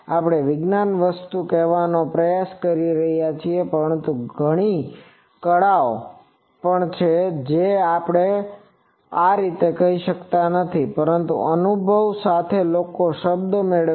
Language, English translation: Gujarati, So, we are trying to say the science thing, but there are also a lot of arts which cannot be said like this, but with experience people get those word